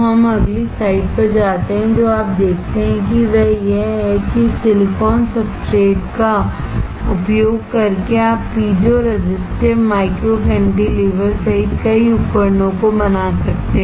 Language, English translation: Hindi, So, we go to the next slide and what you see is that using this silicon substrate you can fabricate several devices including a piezo resistive micro cantilever